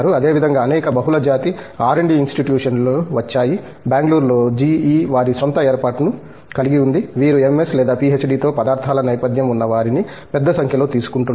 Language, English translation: Telugu, Similarly, a number of Multinational R&D Institutions have come up for example, GE has their own set up in Bangalore, who are taking a large number of materials people with materials background with MS or PhD